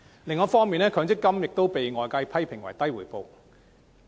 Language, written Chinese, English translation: Cantonese, 另一方面，強積金亦被外界批評回報偏低。, On the other hand MPF has been criticized for its poor returns